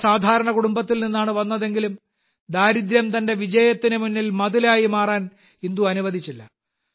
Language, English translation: Malayalam, Despite being from a very ordinary family, Indu never let poverty become an obstacle in the path of her success